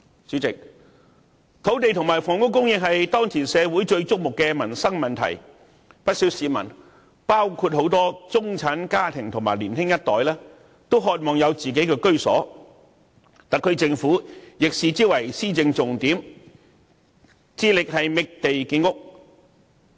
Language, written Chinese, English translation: Cantonese, 主席，土地和房屋供應是社會當前最矚目的民生問題，不少市民，包括很多中產家庭和年輕一代也渴望有自己的居所，特區政府亦把之視為施政重點，致力覓地建屋。, Chairman the supply of land and housing is the most prominent livelihood issue in society . Many people including a lot of middle - class families and the younger generation are eager to have their own homes . The SAR Government also regards it a priority in governance and spares no efforts in identifying land for housing development